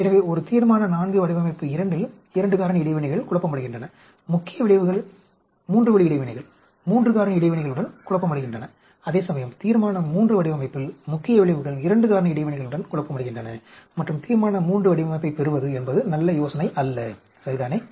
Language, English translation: Tamil, So, in a Resolution IV design 2, 2 factor interactions are confounded, main effects are confounded with the three way interactions, 3 factor interactions, whereas in Resolution III design, the main effects are confounded with 2 factor interaction and Resolution III design is not a good idea to derive, ok